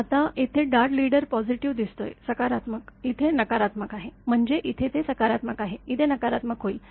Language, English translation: Marathi, Now here it is dart leader look positive; positive; it is negative here; that means, here it is positive, here it will negative